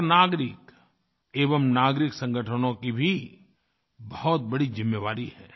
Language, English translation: Hindi, Every citizen and people's organizations have a big responsibility